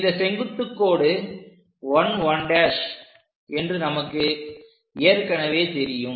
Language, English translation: Tamil, So, perpendicular line we already know on 1 1 prime